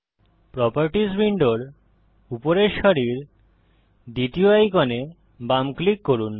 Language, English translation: Bengali, Left click the third icon at the top row of the Properties window